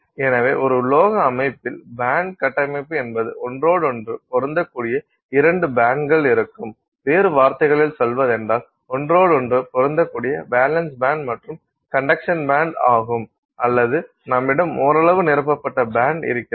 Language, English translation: Tamil, So, in a metallic system the band structure is such that either you have two bands that are overlapping, in other words the valence band and the conduction band are overlapping or you have a partially filled band in which case you have within the same band you have all these empty levels out here